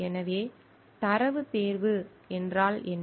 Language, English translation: Tamil, So, what is data selection